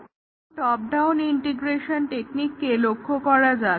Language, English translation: Bengali, Now, let us look at the top down integration testing